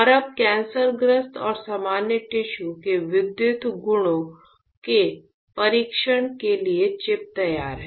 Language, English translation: Hindi, And now you are chip is ready for testing the electrical properties of the cancerous and the normal tissues